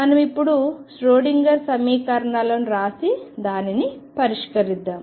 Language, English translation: Telugu, So, let us now solve this where writing the Schrodinger equations